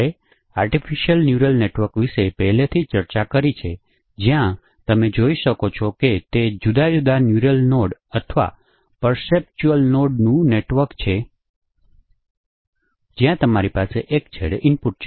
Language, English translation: Gujarati, We have already discussed about the artificial neural network where you can see that it is a network of different neural nodes or perceptron nodes where you have the input at one end and it is a fit forward network